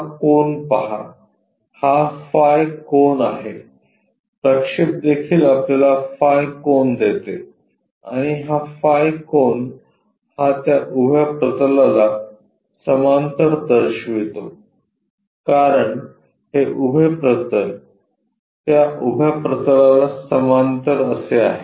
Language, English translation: Marathi, Look at this angle; this is phi angle the projection also giving us phi angle and this phi angle is it indicates that parallel to that vertical plane because, this is the vertical plane parallel to that vertical plane